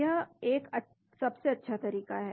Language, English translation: Hindi, This is the one of the best